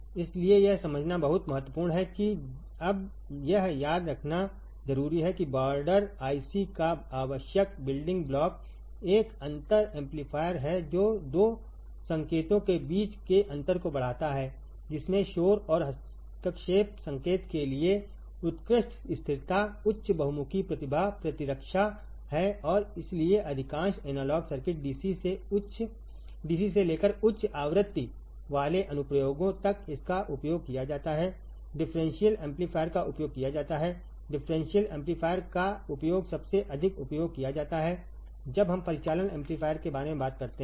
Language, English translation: Hindi, So, that is the very important to understand very important to remember now the essential building block of border I c is a differential amplifier it amplifies the difference between 2 signals has excellent stability high versality high versatility immune to noise and interference signal and hence in most of the analog circuits ranging from DC to high frequency applications the it is used the differential amplifier is used differential amplifier is used in most of the most of the application when we talk about the operational amplifier, all right, easy; easy to understand very easy, right